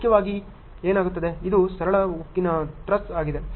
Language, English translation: Kannada, Primarily what happens, this is a simple steel truss